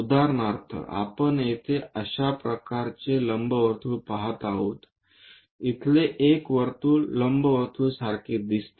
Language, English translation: Marathi, For example, here we are seeing that kind of elliptical theme, a circle here looks like an ellipse